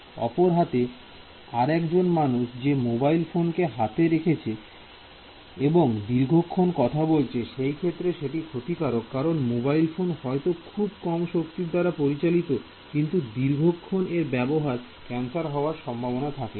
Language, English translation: Bengali, On the other hand someone carrying the mobile next to their hand and talking for extended periods of time; mobile produces less power, but if you keep it held for a long time that is also a possible cause for cancer